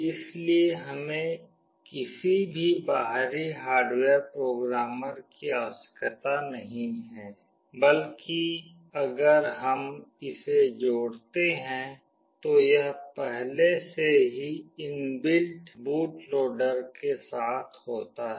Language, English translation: Hindi, So, we do not need to have any external hardware programmer; rather if when we connect this inbuilt boot loader is already there